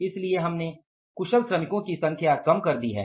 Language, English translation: Hindi, What is a skilled number of workers